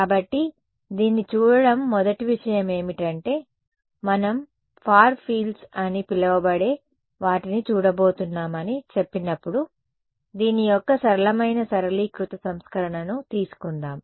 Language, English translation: Telugu, So, looking at this the first thing to do is let us take a simple simplified version of this, when we say that we are going to look at what are called far fields ok